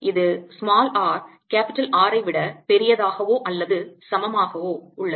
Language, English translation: Tamil, this is for r greater than or equal to r